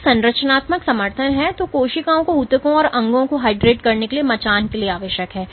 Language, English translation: Hindi, So, it is the structural support which is necessary for cells to be scaffolded to form tissues and organs it hydrates